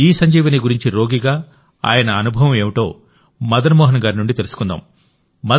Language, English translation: Telugu, Come, let us know from Madan Mohan ji what his experience as a patient regarding ESanjeevani has been